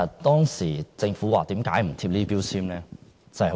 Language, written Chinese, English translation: Cantonese, 當時政府為何主張不貼標籤呢？, Why did the Government not propose mandatory labelling?